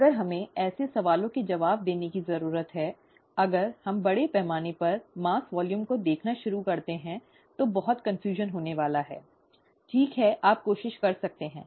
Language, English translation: Hindi, If we need to answer such questions, if we start looking at mass volume, there is going to be total confusion, okay you can try that